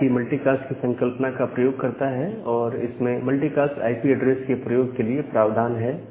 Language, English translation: Hindi, And IP also uses this concept of multicast, and keep provisioning for using multicast IP addresses